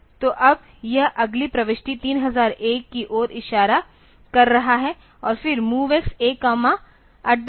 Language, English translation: Hindi, So, that now it is pointing to the next entry 3001 and then MOV X; A comma at the rate DPTR